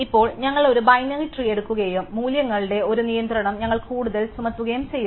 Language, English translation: Malayalam, So, now we take a binary tree and we further impose a constraint of the values